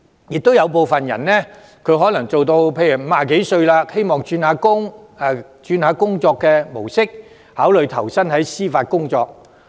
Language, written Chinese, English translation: Cantonese, 同時，有部分人可能私人執業至50多歲，希望轉換工作模式，考慮投身司法機構工作。, Nonetheless some private practitioners in their 50s may consider joining the Judiciary for they want to change their work pattern